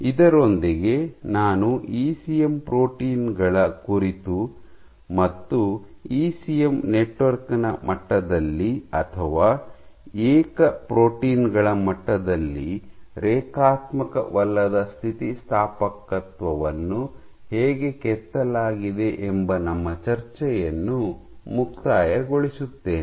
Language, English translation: Kannada, So, with that I conclude our discussion on ECM proteins and how non linear elasticity is engrained either at the level of a ECM network or at the level of single proteins